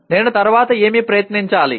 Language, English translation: Telugu, What should I try next